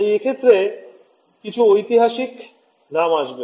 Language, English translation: Bengali, So, few names a few historical name over here